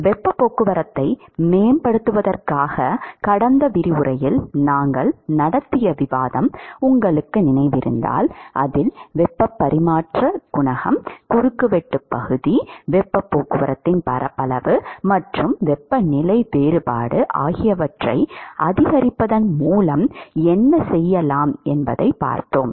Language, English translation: Tamil, If you remember the discussion we had in the last lecture in order to improve the heat transport the ways by which we can do that is by increasing the heat transfer coefficient, cross sectional area, area of convective area of heat transport and the temperature difference